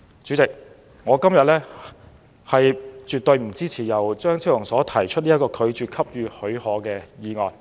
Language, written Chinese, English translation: Cantonese, 主席，我今天絕不會支持由張超雄議員提出的，拒絕申請許可的議案。, President I definitely will not support the motion moved by Dr Fernando CHEUNG to refuse to give leave